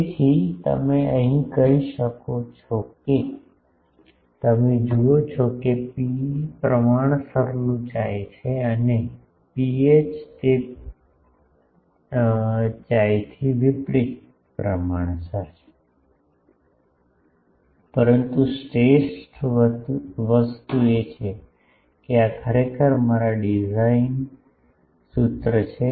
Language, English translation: Gujarati, So, you can say that, the you see rho e is proportional to Chi and rho h is inversely proportional to chi, but the best thing is this is actually my design formula